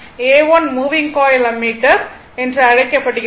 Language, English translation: Tamil, A 1 is called moving coil ammeter